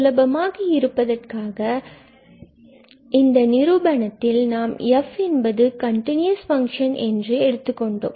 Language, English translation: Tamil, So, for the simplicity of the proof, we have taken this continuous function now